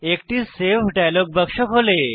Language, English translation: Bengali, A Save dialog box appears